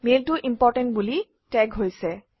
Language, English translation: Assamese, The mail is tagged as Important